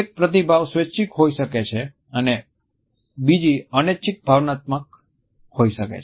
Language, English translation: Gujarati, One may be voluntary and the other may be involuntary emotional response